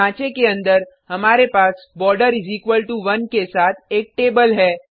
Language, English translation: Hindi, Inside the body, we have a table,with border equal to 1